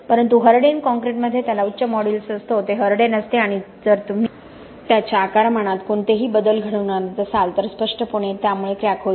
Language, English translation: Marathi, But in a harden concrete it has got a high modulus, it is rigid if you are causing any volume changes obviously there will be cracking, okay